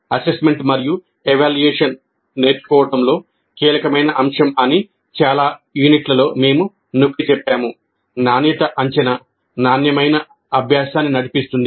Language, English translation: Telugu, This in any number of units we have emphasized that this is a crucial component of the learning, quality assessment drives quality learning